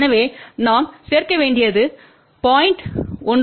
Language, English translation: Tamil, So, what we need to add from 0